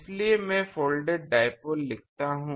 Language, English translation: Hindi, So, let me write folded dipole